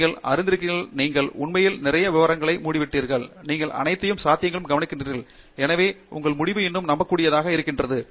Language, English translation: Tamil, He or she also understands that you know, you have really covered a lot of a detail, you have looked at all possibilities and therefore, your result is much more believable